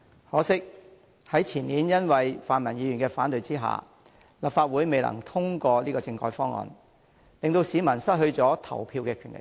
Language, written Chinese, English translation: Cantonese, 可惜，前年因為泛民議員的反對，立法會未能通過政改方案，令市民失去了投票的權利。, Regrettably owning to the rejection by pan - democratic Members the year before the Legislative Council was unable to pass the constitutional reform proposal depriving the people of their rights to vote